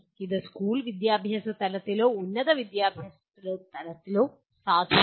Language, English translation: Malayalam, This is valid at school education level or at higher education level